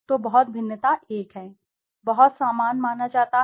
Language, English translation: Hindi, So very dissimilar is 1, very similar is suppose 7